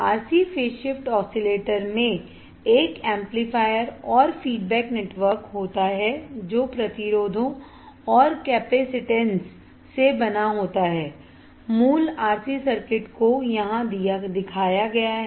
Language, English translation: Hindi, What are RC phase shift oscillators a RC phase shift oscillator consists of an amplifier and feedback network made up of resistors and capacitances the basic RC circuit is shown here right now let us see what V o is